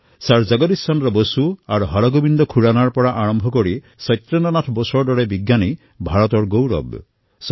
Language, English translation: Assamese, Right from Sir Jagdish Chandra Bose and Hargobind Khurana to Satyendranath Bose have brought laurels to India